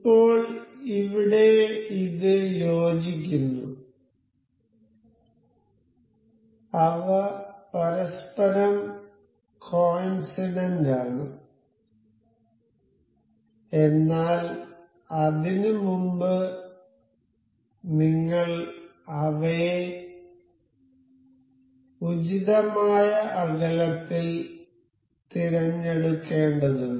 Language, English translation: Malayalam, Now, here it is coincide so, they will be coinciding with each other, but before that we have to select these place them at appropriate distance